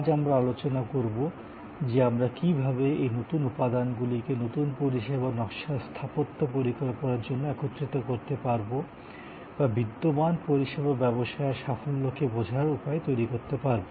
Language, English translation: Bengali, Today, we are going to discuss, how do we combine these different elements to create an architectural plan for a new service design or a way of understanding the success model for an existing service business